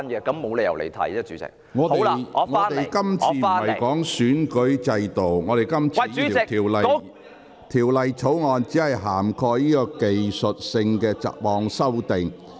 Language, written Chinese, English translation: Cantonese, 鄭議員，這項辯論的議題並非關乎選舉制度，而是有關《條例草案》涵蓋的若干技術性雜項修訂。, Dr CHENG the question of this debate is not on the electoral system but the miscellaneous technical amendments in the Bill